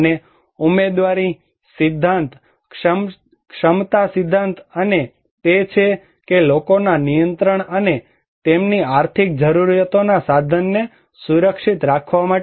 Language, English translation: Gujarati, And also the entitlement theory, the capacity theory and that the people have for control and to get to secure the means of their economic needs